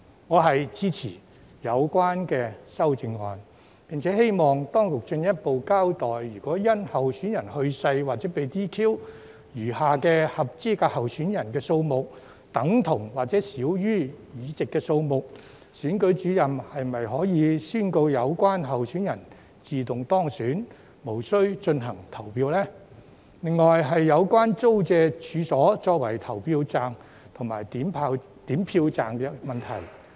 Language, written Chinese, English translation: Cantonese, 我支持有關修正案，並希望當局進一步交代，如果因候選人去世或被 "DQ"， 餘下的合資格候選人數目等同或少於議席數目時，選舉主任是否可以宣告有關候選人自動當選，無須進行投票呢?另外是有關租借處所作為投票站及點票站的問題。, I support the relevant amendments and hope that the authorities will further explain whether if the number of remaining eligible candidates is equal to or less than the number of seats due to the death or disqualification of a candidate the Returning Officer can declare the automatic election of the candidates without the need to proceed to vote . The other issue is about making available premises for use as polling and counting stations